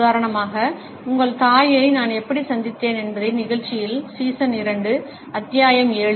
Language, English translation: Tamil, For example, in the show how I met your mother; season two, episode seven